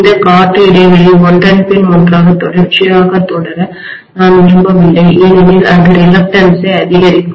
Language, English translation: Tamil, I do not want this air gap to continue one behind the other continuously because that will increase the reluctance